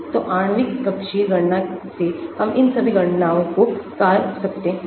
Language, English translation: Hindi, so from molecular orbital calculations we can do all these calculations